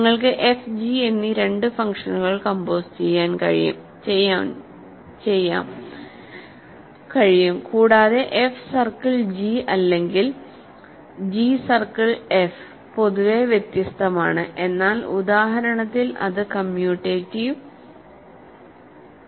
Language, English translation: Malayalam, You can compose two function f and g and in either f circle g or g circle f in general there are different, but in this specific example its commutative